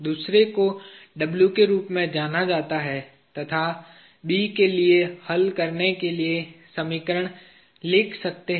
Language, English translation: Hindi, The other known as W and I can write the equation to solve for B